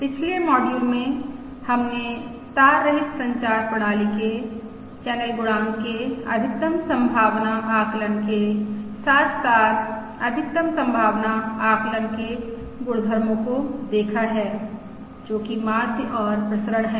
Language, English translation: Hindi, In the previous modules we have seen the maximum likelihood estimate of the channel coefficient of a wireless communication system as well as the properties of the maximum likelihood estimate, that is, the mean and the variance